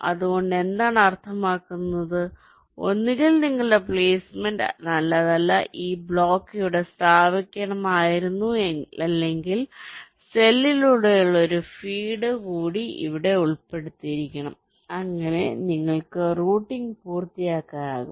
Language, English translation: Malayalam, so what it means is that means either your placement is not good this block should have been placed here or means one more feed through cell should have been included here so that you can completes routing